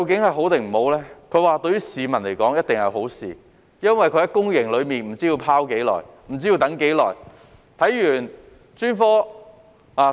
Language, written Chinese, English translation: Cantonese, 他說對市民而言一定是好事，因為病人在公營體系內不知被"拋"多久，不知需等候多久。, They say it is definitely a good thing for the public because in the past patients had to wait an unknown amount of time for referral within the public healthcare system